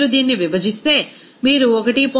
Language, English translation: Telugu, If you divide this, you will get 1